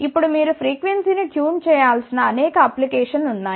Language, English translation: Telugu, Now, there are many applications where you have to tune the frequency